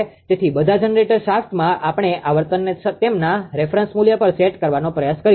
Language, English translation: Gujarati, So, all the generator shaft; we will try, they will try to set that frequency to their reference value